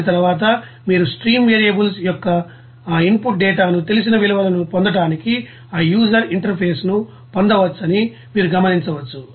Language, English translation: Telugu, And after that you will see that based on this you can get that user interface to get that you know input data known values of stream variables